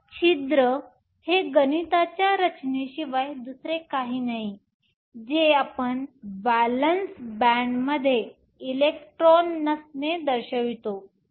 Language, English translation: Marathi, So, hole is nothing but a mathematical construct that we used to denote the absence of electrons in the valence band